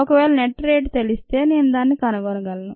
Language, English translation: Telugu, when, if i know the net rate, i can find it out